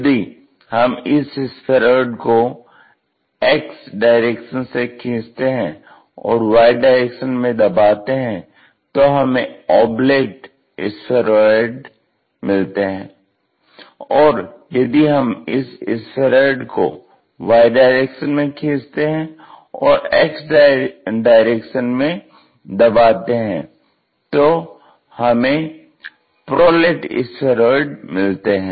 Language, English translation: Hindi, And, oblate you will have pushed in this direction elongates in that direction we call oblate spheroids, and if it is extended in that direction pushed in this direction we call that as prolates spheroids